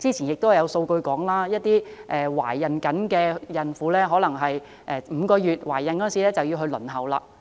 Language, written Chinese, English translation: Cantonese, 過去有數據顯示，一些孕婦可能在懷孕5個月時便開始輪候服務。, Past statistics showed that some expectant mothers began applying for this service when they are pregnant for five months